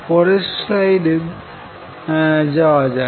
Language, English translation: Bengali, Let me go to the next slide and show this